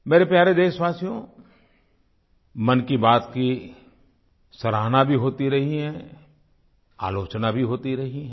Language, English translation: Hindi, My dear countrymen, 'Mann Ki Baat' has garnered accolades; it has also attracted criticism